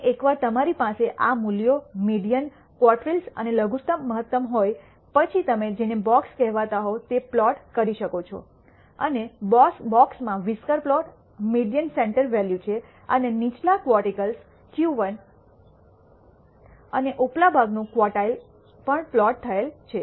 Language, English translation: Gujarati, And once you have these values, the median, the quartiles and the minimum maximum, you can plot what is called the box and whisker plot in the box the median is the center value and the lower quartile Q 1 and the upper quartile is also plotted